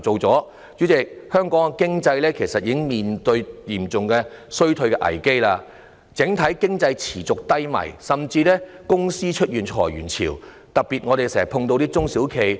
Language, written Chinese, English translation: Cantonese, 主席，香港的經濟正面對嚴重的衰退危機，整體經濟持續低迷，甚至有公司已出現裁員潮，特別是我們經常見到的中小企。, President Hong Kong economy is facing an acute crisis of recession . With the sustained downturn of the overall economy waves of layoffs have even appeared in some companies especially small and medium enterprises which we often come across